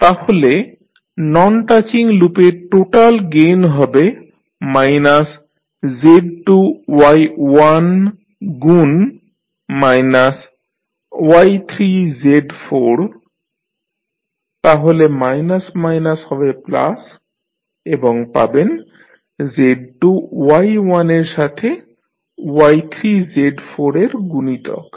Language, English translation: Bengali, So, the total gain of non touching loop would be minus Z2 Y1 into minus of Y3 Z4 so minus minus will become plus and you will get Z2 Y1 multiplied by Y3 Z4